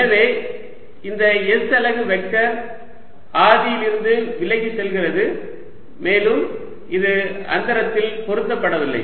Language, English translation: Tamil, so this s unit vector pointing away from the origin and it is not fixed in space